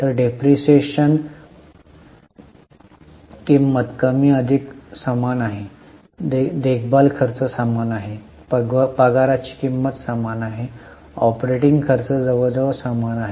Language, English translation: Marathi, So, depreciation cost is more or less same, maintenance cost is same, the salary cost is same, operating expenses are almost same